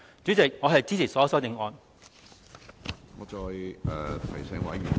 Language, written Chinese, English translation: Cantonese, 主席，我支持所有修正案。, Chairman I support all the amendments